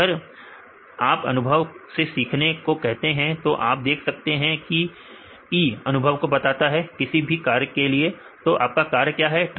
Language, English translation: Hindi, So, if you said to learn from the experience right this experience you can see E right for any task what is our task here